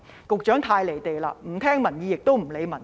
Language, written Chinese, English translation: Cantonese, 局長太"離地"了，不聽取民意，也不理民情。, The Secretary is disconnected from reality by refusing to listen to the people and ignoring public sentiment